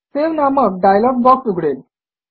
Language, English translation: Marathi, The Save dialog box will open